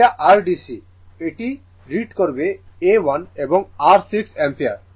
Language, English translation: Bengali, This is your DC; this this will read A 1 will read your 6 ampere